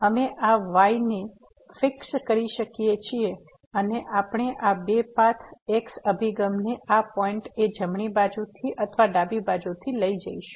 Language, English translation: Gujarati, We can fix this and we will take these two paths as approaches to this point from the right side or from the left side